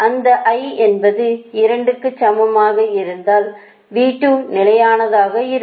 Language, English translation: Tamil, if it i is equal to two, v two remain constant